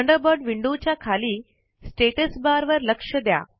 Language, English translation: Marathi, Note the status bar at the bottom of the Thunderbird window